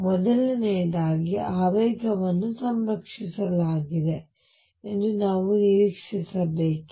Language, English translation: Kannada, Number 1, should we expect that momentum is conserved